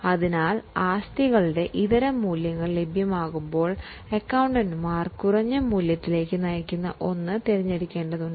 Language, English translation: Malayalam, So, when the alternative values of assets are available, accountants need to choose the one which leads to lesser value